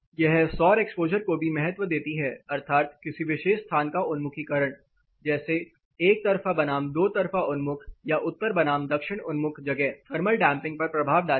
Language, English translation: Hindi, It also gives weightage for solar exposure that is orientation of the particular space, one side versus two sided oriented or north versus south orientated space will have an impact on thermal damping